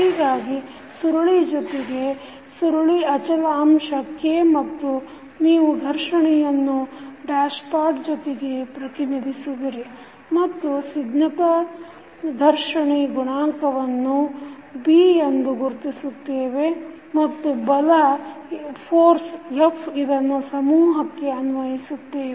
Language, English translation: Kannada, So, it is having spring with spring constant K and you represent the friction with dashpot and the viscous friction coefficient which we considered is B and the force f which is applied to the mass